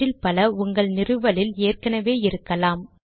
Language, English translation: Tamil, Many of them may already be available on your installation